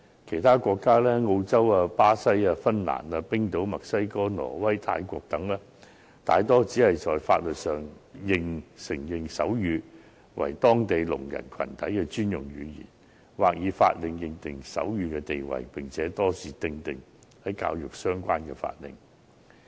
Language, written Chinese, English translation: Cantonese, 其他國家，例如澳洲、巴西、芬蘭、冰島、墨西哥、挪威、泰國等，大多只在法律上承認手語為當地聾人群體的專用語言，或以法令確定手語的地位，並且多是透過與教育相關的法令來確定。, And other countries such as Australia Brazil Finland Iceland Mexico Norway and Thailand mostly would only affirm their sign language as a special language of the deaf by law or establish the status of sign language by an order mostly through education - related orders